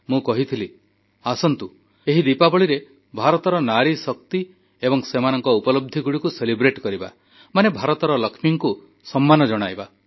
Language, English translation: Odia, I had urged all of you to celebrate India's NariShakti, the power and achievement of women, thereby felicitating the Lakshmi of India